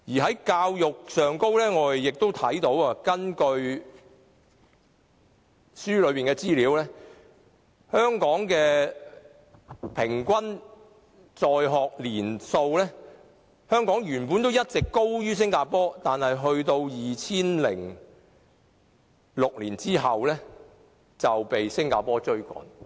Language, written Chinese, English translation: Cantonese, 在教育方面，根據書中所述，就平均在學年數而言，香港原本一直高於新加坡，但在2006年後卻被新加坡趕上了。, With regard to education according to the book in terms of the average years of school attendance Hong Kong used to be higher than Singapore all along but it has been overtaken by Singapore since 2006